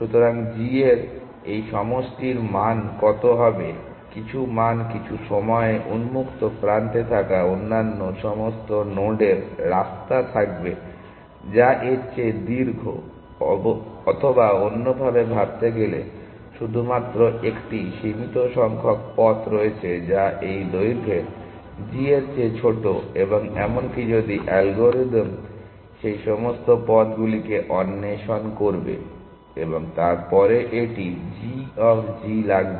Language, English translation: Bengali, So, what is the value of this sum g of g the some value at some point all other nodes that you have in open will have paths which are longer than this; or to think of it in another manner, there are only a finite number of paths which are shorter than this lengths g of g; and even if the algorithm will explore all those paths and then it will take of g of g